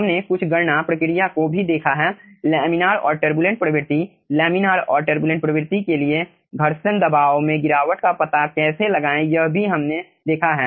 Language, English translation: Hindi, okay, we have also seen some calculation procedure, some laminar and turbulent regime, how to find out the friction pressure drop for laminar and turbulent